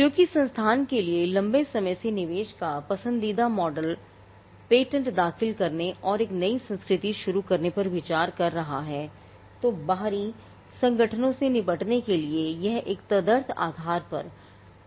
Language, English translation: Hindi, Now, because of the long term investment involved the preferred model for institute which is looking at filing patents and starting up a new culture then it will be more viable for them to deal with external organizations on an adhoc basis